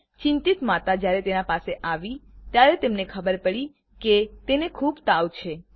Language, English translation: Gujarati, The worried mother who came near her noticed that she has a high temperature